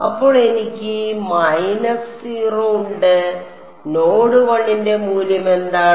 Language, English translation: Malayalam, So, I have minus 0 what is the value of W x at node 1